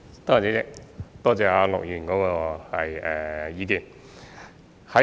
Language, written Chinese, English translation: Cantonese, 主席，多謝陸議員的意見。, President I thank Mr LUK for his view